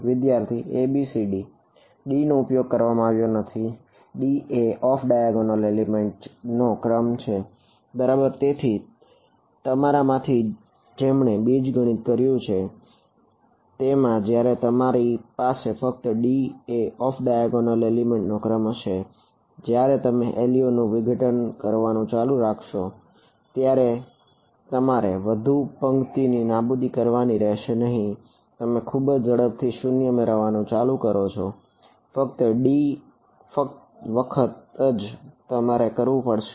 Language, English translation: Gujarati, So, those of you have done linear algebra they you know that when you have only d number of off diagonal elements when you start doing LU decomposition, you do not have to do row eliminations many many times you start getting 0’s very quickly only d times you have to do